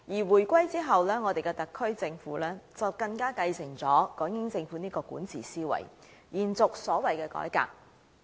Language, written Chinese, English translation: Cantonese, 回歸後，我們的特區政府繼承了港英政府的管治思維，延續所謂的改革。, Following the reunification our Special Administrative Region Government has inherited the thinking of the British Hong Kong Government in governance by continuing these reforms so to speak